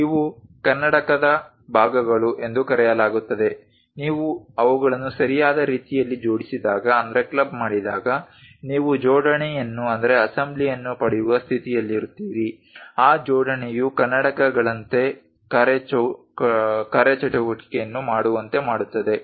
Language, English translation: Kannada, These are called parts parts of this spectacle, when you club them in a proper way you will be in a position to get an assembly that assembly makes the functionality like spectacles